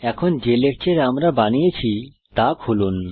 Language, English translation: Bengali, Now let us open the lecture we created